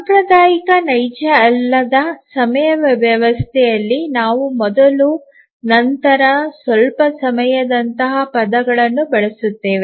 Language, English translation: Kannada, In a traditional non real time system we use terms like before, after, sometime, eventually